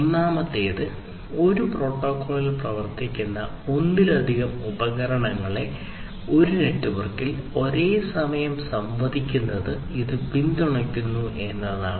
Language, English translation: Malayalam, The first one is that it supports multiple devices working on different protocols to interact in a single network simultaneously